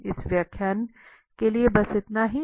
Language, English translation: Hindi, So, that is all for this lecture